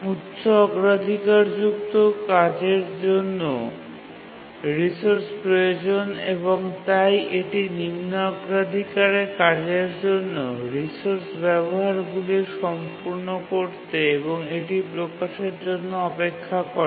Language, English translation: Bengali, And the high priority task also needs the resource and therefore it just waits for the low priority task to complete its uses of the resource and release it